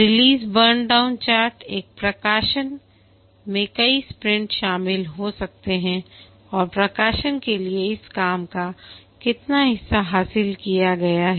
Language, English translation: Hindi, The release burn down chart, a release may consist of multiple sprints and how much of this work for the release has been achieved